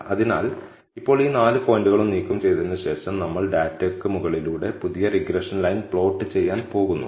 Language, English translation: Malayalam, So, now, after removing all these four points, we are going to plot the new regression line over the data